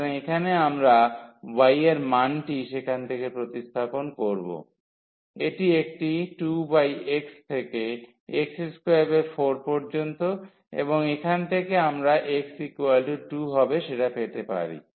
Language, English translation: Bengali, So, here we substitute the value of y from there, its a 2 over x 2 over x is equal to x square by 4 and from here we can get that x will be just 2